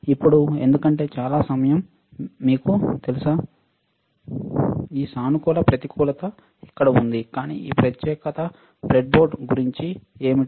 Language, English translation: Telugu, Now because there is lot of time, you know, this positive negative is here, but what about this particular breadboard